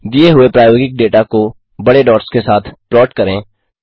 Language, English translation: Hindi, Plot the given experimental data with large dots